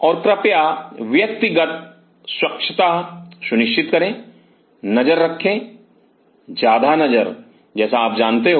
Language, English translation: Hindi, And please ensure personal hygiene eye the more eye like you know